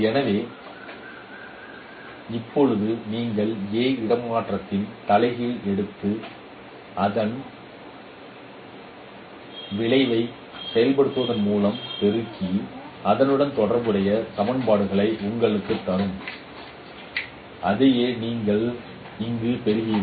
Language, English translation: Tamil, So now you take the inverse of A transpose and multiply with the resulting operation that would give you the corresponding equations